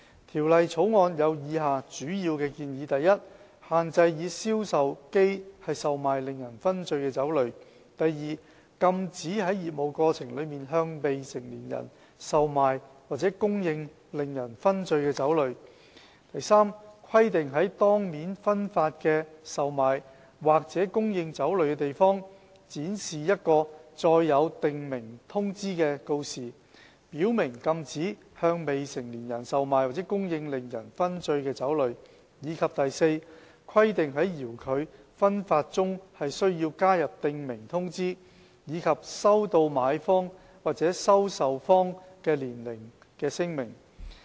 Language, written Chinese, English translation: Cantonese, 《條例草案》有以下主要建議： a 限制以銷售機售賣令人醺醉的酒類； b 禁止在業務過程中，向未成年人售賣或供應令人醺醉的酒類； c 規定在當面分發的售賣或供應酒類的地方，展示一個載有訂明通知的告示，表明禁止向未成年人售賣或供應令人醺醉的酒類；及 d 規定在遙距分發中加入訂明通知，以及收取買方或收受方的年齡聲明。, 109 and its auxiliary legislation . The major proposals in the Bill are as follows a to restrict the sale of intoxicating liquor from vending machines; b to prohibit the sale or supply of intoxicating liquor to minors in the course of business; c to impose an requirement to display a sign containing a prescribed notice to declare the prohibition of sale or supply of intoxicating liquor to minors at the place of sale or supply of liquor in face - to - face distribution; and d to impose requirements to include a prescribed notice and to receive a declaration of age from the purchaser or recipient for remote distribution